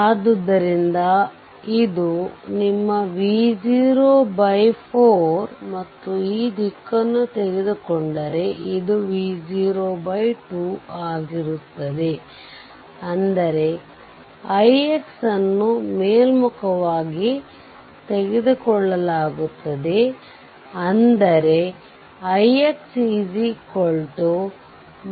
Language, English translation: Kannada, So, this is your V 0 by 4 and if you take this direction the current it will be V 0 by 2 that means, i x is taken upwards that means, i x is equal to minus V 0 by 2 right